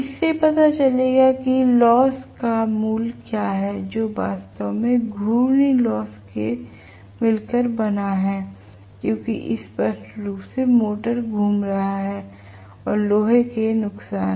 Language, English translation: Hindi, This will give what is the value of the losses which can consist of actually rotational losses because the motor is rotating very clearly plus iron losses, right